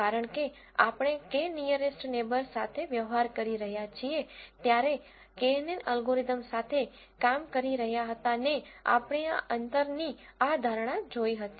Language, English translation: Gujarati, Because we are dealing with the K nearest neighbours we would have seen this notion of distance is important when we are dealing with this knn algorithm